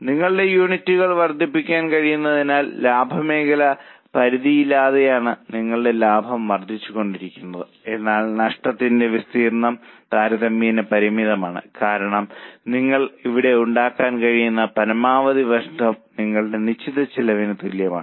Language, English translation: Malayalam, As you can increase your units, your profits will go on increasing but loss area is relatively limited because maximum loss which you can make here is equal to your fixed cost